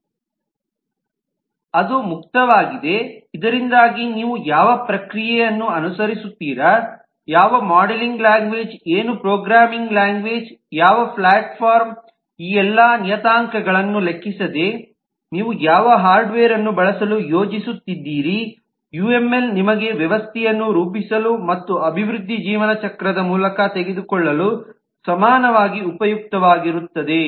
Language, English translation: Kannada, it is open so that, irrespective of what process you follow, what modelling language, what programming language, what platform, which hardware you are planning to use, irrespective of all these parameters, uml would be equally useful for you to model the system and to take it through the life cycle of development